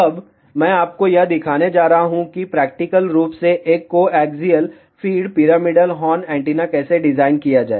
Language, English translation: Hindi, Now, I am going to show you how to practically design a coaxial feed pyramidal horn antenna